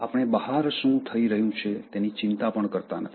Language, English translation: Gujarati, We do not even bother about what is happening outside